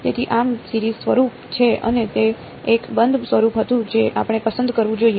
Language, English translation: Gujarati, So, this is the series form and that was a closed form which form should we chose